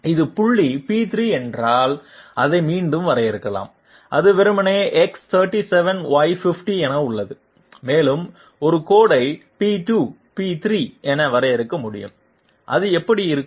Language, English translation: Tamil, P3 can be defined once again that is simply as X37 Y50 and I can define a line as P2, P3, how would it look like